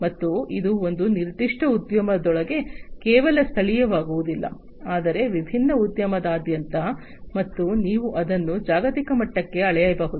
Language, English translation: Kannada, And this is not going to be just local within a particular industry, but across different industry, and also you can scale it up to the global level